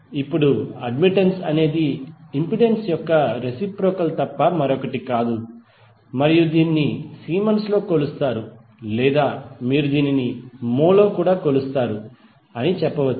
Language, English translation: Telugu, Now admittance is nothing but reciprocal of impedance and it is measured in siemens or you can say it is also measured in mho